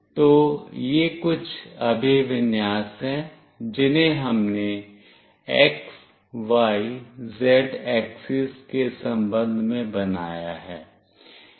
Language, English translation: Hindi, So, these are the few orientation, which we have made with respect to x, y, z axis